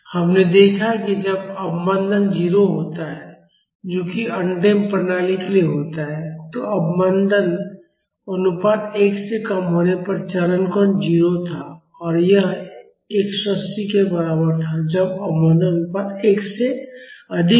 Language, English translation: Hindi, We have noticed that when the damping is 0 that is for undamped system, the phase angle was 0 when the damping ratio was less than 1 and it was equal to 180 when the damping ratio was higher than 1